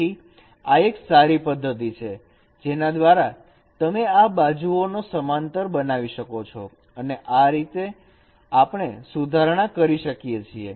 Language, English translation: Gujarati, So this is one good method by which at least you can make the edges parallel and this is how you can carry out rectification